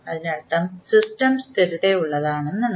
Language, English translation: Malayalam, That means that the system is stable